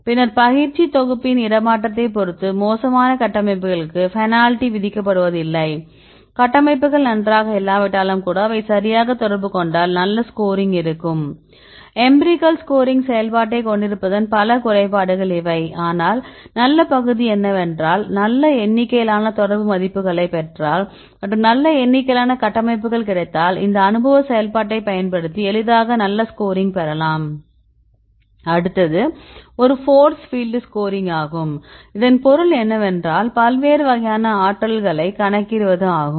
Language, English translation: Tamil, Then also depending upon the transferability of the training set, then the next one is the there is no penalty time for the bad structures if the structures are not good even then if they interact right make it interact, in this case there will be good score So, these are the several disadvantages of having the empirical scoring function, but the good part is if you get good number of affinity values and good number of structures are available, then you can easily get good score using this empirical function So, this works fine for some cases